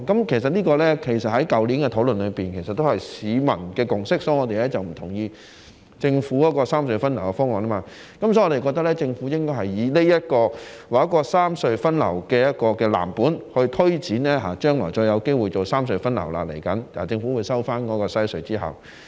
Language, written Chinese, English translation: Cantonese, 其實，在去年的討論中，這也是市民的共識，所以我們才不同意政府的三隧分流方案，我們認為政府應該以這個三隧分流安排為藍本，推展將來——政府收回西隧之後，未來仍有機會進行三隧分流。, In fact in the discussions last year this was also the consensus of the public . That is why we did not agree with the Governments three - tunnel diversion plan . We believe that the Government should take this three - tunnel diversion arrangement as the blueprint to promote future plans after the Government takes back the Western Harbour Crossing